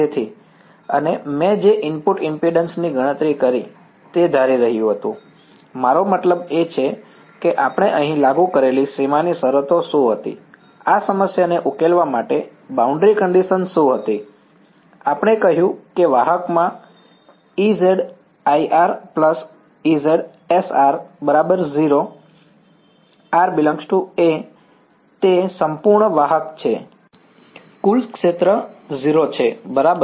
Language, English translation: Gujarati, So, and the input impedance that I calculated was assuming, I mean what were the boundary conditions that we applied over here, to solve this problem what was the boundary condition, we said that E z i r plus E z scattered at r is going to be equal to what